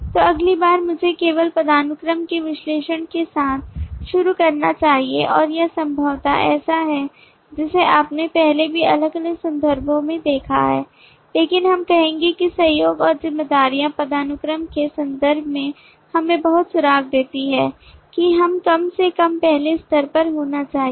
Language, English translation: Hindi, so next let me just start off with the analysis of hierarchy and this is a possibly you saw this earlier also in couple of different other context, but we will say that the collaboration and the responsibilities give us a lot of clue in terms of the hierarchy that we at least should have at the first level